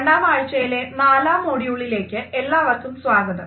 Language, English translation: Malayalam, Welcome dear participants to the fourth module of the second week